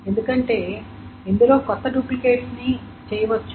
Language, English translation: Telugu, Because this removing duplicates can be done